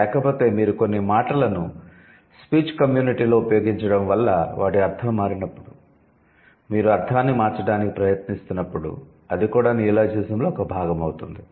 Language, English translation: Telugu, Otherwise, when you are also trying to change the meaning, like when the speech community, because of the uses of these words in the speech community, when the meaning gets changed, that is also part of neologism